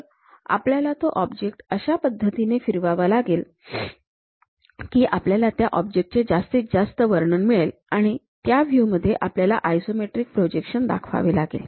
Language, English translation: Marathi, So, we have to rotate that object in such a way that, most description whatever we can get from that object; in that view we have to show these isometric projections